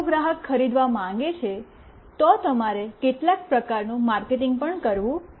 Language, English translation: Gujarati, If the customer wants to buy, then you have to also do some kind of marketing